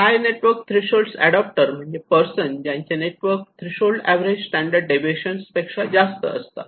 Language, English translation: Marathi, Then in the high network threshold adopters where, whose personal network threshold one standard deviation higher than the average